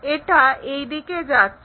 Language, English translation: Bengali, So, it goes in that way